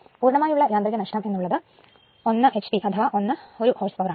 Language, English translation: Malayalam, Total mechanical losses 1 hp, that is 1 horse power